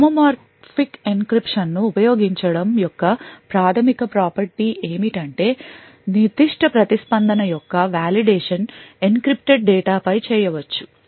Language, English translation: Telugu, Now the basic property of using homomorphic encryption is the fact that the validation of the particular response can be done on encrypted data